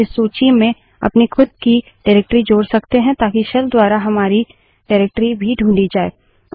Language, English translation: Hindi, We can also add our own directory to this list so that our directory is also searched by the shell